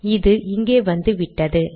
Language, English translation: Tamil, And this has appeared here